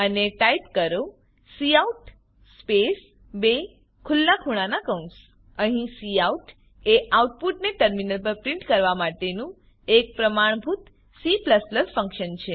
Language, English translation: Gujarati, And type cout space two opening angle bracket Here cout is a standard C++ function to print the output on the terminal